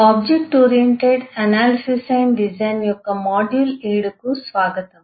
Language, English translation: Telugu, welcome to module 7 of object oriented analysis and design